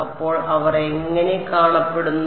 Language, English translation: Malayalam, So, what do they look like